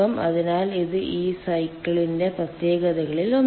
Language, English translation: Malayalam, so this is one of the speciality of this cycle see